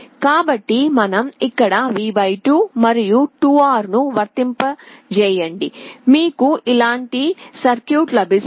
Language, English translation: Telugu, So, you apply V / 2 here and 2R to replace this, you get a circuit like this